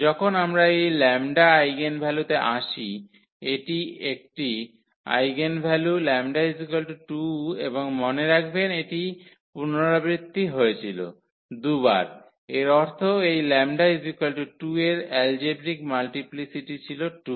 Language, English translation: Bengali, When we come to this eigenvalues lambda is an; eigenvalue lambda is equal to 2 and remember it was repeated 2 times meaning the algebraic multiplicity of this lambda is equal to 2 was 2